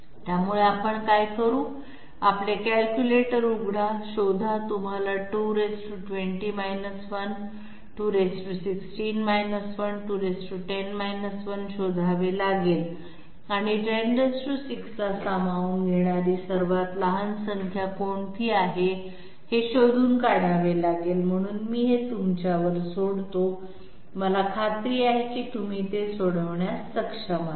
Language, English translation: Marathi, So what you have to do is, open your calculators, find out, you have to find out 2 to the power 20 1, 2 to the power 16 1, 2 to the power 10 1 and find out the 1 which is the smallest number which can accommodate 10 to the power 6, so I leave this to you I am sure that you will be able to solve it